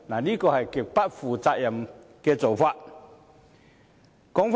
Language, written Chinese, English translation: Cantonese, 這是極不負責任的做法。, This is a very irresponsible approach indeed